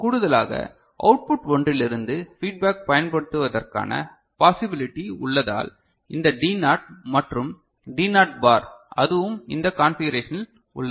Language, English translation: Tamil, In addition, because of the possibility of using feedback from one of the output, so this D naught over here and D naught bar that is also available in this configuration ok